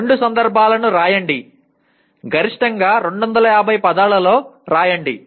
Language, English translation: Telugu, Write two instances, maximum 250 words each